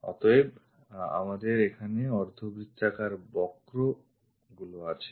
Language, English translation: Bengali, So, we have those curves here the semi circles